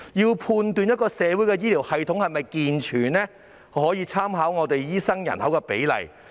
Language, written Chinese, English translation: Cantonese, 要判斷一個社會的醫療系統是否健全，可以參考醫生人口比例。, We can judge whether a society has a sound healthcare system by referring to the doctor - to - population ratio